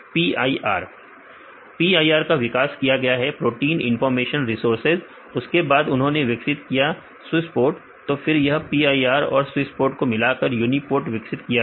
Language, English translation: Hindi, PIR they developed Protein Information Resource and then they developed this swissprot so this PIR and swissprot they merge together to form this UniProt